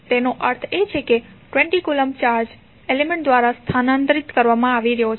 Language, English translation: Gujarati, It means that 20 coulomb of charge is being transferred from through the element